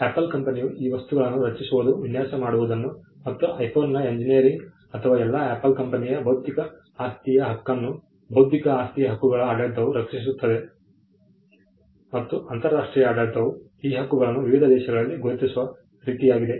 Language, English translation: Kannada, The regime where Apple creates these works that is the design for the iPhone and the engineering of the iPhone, the regime protects all of Apples intellectual property rights; in such a way that the international regime recognizes these rights in different countries